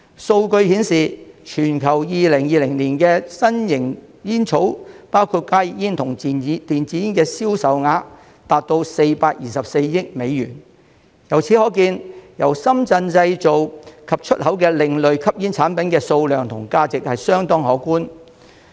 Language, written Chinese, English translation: Cantonese, 數據顯示，全球2020年的新型煙草，包括加熱煙和電子煙的銷售額達424億美元，由此可見，由深圳製造及出口的另類吸煙產品的數量和價值相當可觀。, Statistics show that in 2020 the global sales of novel tobacco products including HTPs and e - cigarettes reached US42.4 billion . From this we can see that the quantity and value of alternative smoking products manufactured in and exported from Shenzhen are huge